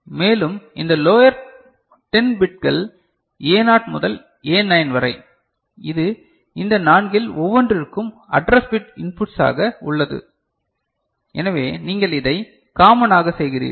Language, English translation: Tamil, And the lower this 10 bits A0 to A9, which is there as address bit inputs to each one of these four, so you make it common